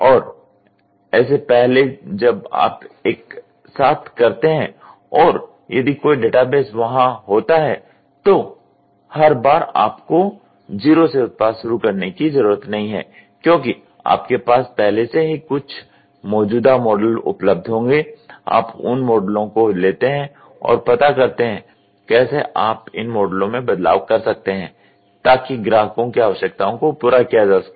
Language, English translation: Hindi, And, on top of it when you do this simultaneous and if there is a database, every time you do not have to start the product from the scratch you will already have some existing models available, you take those models, see how can you tweak those models to meet out to the customer requirements